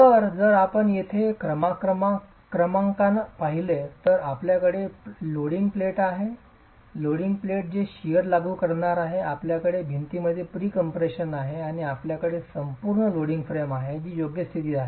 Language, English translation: Marathi, So, if you look at the numbering here, you have the loading platin, the loading platin which is going to be applying the shear force, you have the pre compression in the walls and you have the overall loading frame which is holding the setup in position